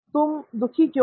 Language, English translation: Hindi, Why are you sad